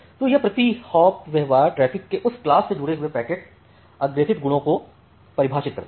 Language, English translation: Hindi, So, this per hop behaviour defines the packet forwarding properties associated with that class of traffic